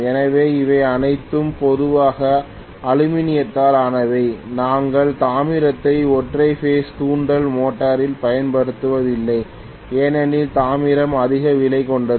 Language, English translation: Tamil, So these are all generally made up of aluminium hardly ever we use copper in single phase induction motor because copper is more costly